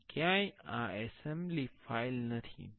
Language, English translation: Gujarati, And nowhere this is the assembly file